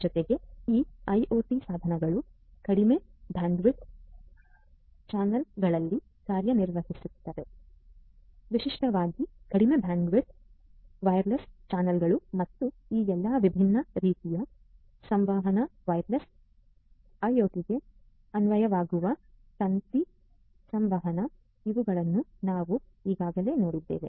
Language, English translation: Kannada, Plus these devices, IoT devices operate in low bandwidth channels; typically, low bandwidth wireless channels and all these different types of; different types of communication wireless communication, wire communication applicable for IoT these are the ones that we have already seen